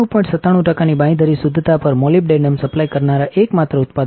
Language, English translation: Gujarati, And that is what we are the only manufacturer to supply molybdenum at a guaranteed purity of 99